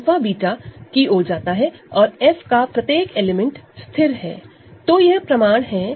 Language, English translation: Hindi, So, alpha goes to beta and every element of F is fixed, so that is a proof ok